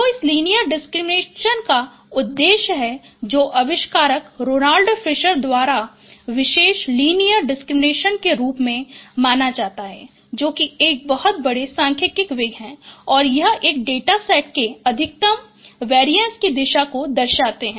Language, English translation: Hindi, So the objective of this linear discriminants and which is known as Fisher linear discriminant by the inventor, Ronald Fisher is a very famous statistician and it captures the direction of maximum variance of a data set